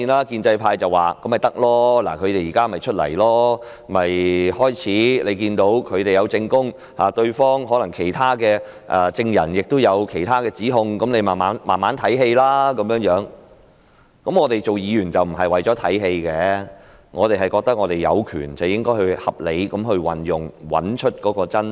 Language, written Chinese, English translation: Cantonese, 建制派說既然他們現在出現了，便應聽聽他們的證供，可能其他證人亦有其他的指控，你們可以慢慢欣賞這台戲；但我們擔任議員不是為了看戲，我們覺得應該合理地運用我們的權力，以找出真相。, The pro - establishment camp said that since they have shown up now we should listen to what they say in giving evidence adding that probably other witnesses may make other allegations . You may wish to sit back and enjoy the show but our duty as Members is not to enjoy the show . We think that we should reasonably exercise our powers to find out the truth